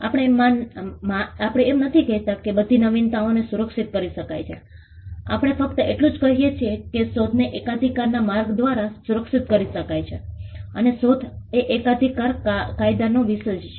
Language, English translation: Gujarati, We do not say that all innovations can be protected we only say that inventions can be protected by way of patents and invention is the subject matter of patent law